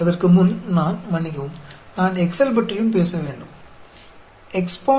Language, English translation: Tamil, Before that, let me also, sorry, let me also talk about the Excel